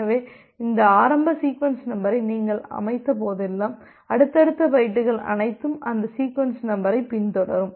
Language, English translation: Tamil, So, this means that whenever you have set up this initial sequence number, then all the subsequent bytes will follow that sequence number